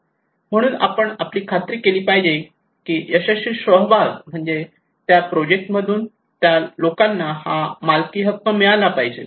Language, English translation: Marathi, So we should make sure that a successful participation means that people get these ownerships from the project